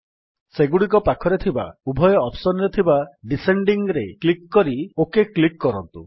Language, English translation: Odia, Click on Descending in both the options near them and then click on the OK button